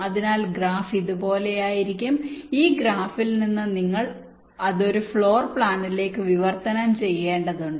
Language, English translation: Malayalam, then, from this graph, you will have to translate it into a floor plan